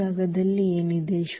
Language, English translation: Kannada, So, what is in the null space